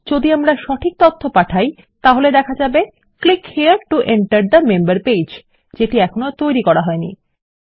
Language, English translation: Bengali, As long as we send the right data were going to say Click here to enter the member page which we havent created yet